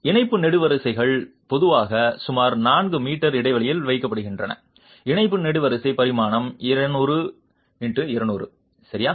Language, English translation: Tamil, The tie columns are typically placed at a spacing of about four meters if the tie column dimension is 200 by 200